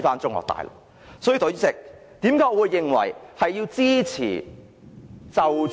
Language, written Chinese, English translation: Cantonese, 所以，代理主席，為何我認為要支持......, Deputy Chairman for these reasons I support the amendments which are about rights and obligations